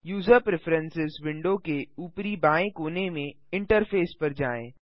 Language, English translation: Hindi, Go to Interface at the top left corner of the User Preferences window